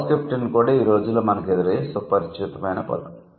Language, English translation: Telugu, So, house captain is also a familiar term that we encounter nowadays